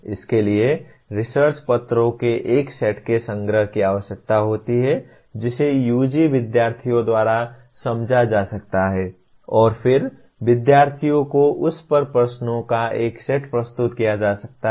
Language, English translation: Hindi, It requires collection of a set of research papers that can be understood by the UG students and then posing a set of questions on that to the students